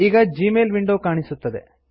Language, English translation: Kannada, The Gmail Mail window appears